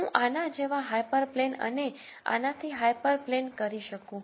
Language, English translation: Gujarati, I could do hyper plane like this and a hyper plane like this